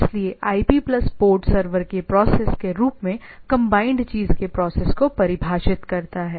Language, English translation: Hindi, So, IP plus port combinely defines the process of the thing as the server process